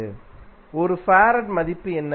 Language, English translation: Tamil, What is the value of 1 farad